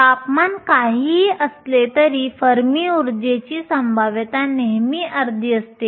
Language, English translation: Marathi, Whatever be the temperature the probability at the Fermi energy is always half